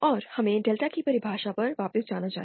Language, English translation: Hindi, And let us go back to the definition of delta